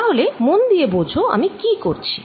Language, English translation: Bengali, so please understand what i am doing